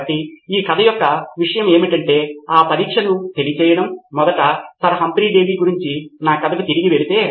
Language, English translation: Telugu, So the point of this story is to convey that testing, first of all if we go back to my story about Sir Humphry Davy